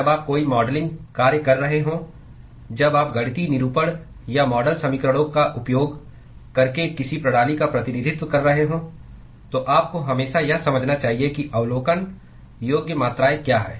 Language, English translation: Hindi, When you are doing any modeling work when you are representing any system using mathematical representation or model equations, you must always understand what are the observable quantities